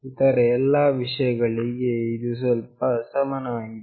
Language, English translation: Kannada, For all other things, it is pretty similar